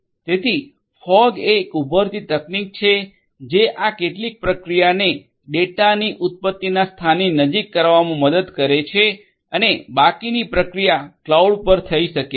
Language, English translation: Gujarati, So, fog is an emerging technology which will help to perform some of this processing closer to the point of origination of the data and the rest of the processing can be done at the cloud